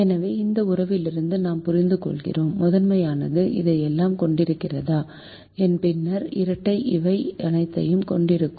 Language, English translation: Tamil, so from this relationship we understand: if the primal has all this, then the duel will have all this